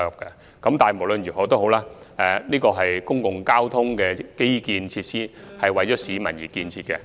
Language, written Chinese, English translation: Cantonese, 不過，無論如何，這是公共交通基建設施，是為市民而建設的。, Anyway it is a public transport infrastructure constructed for the public